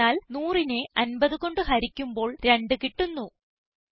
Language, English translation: Malayalam, That is because 100 divided by 50 gives 2